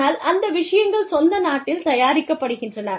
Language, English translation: Tamil, But, these things are manufactured, in the home country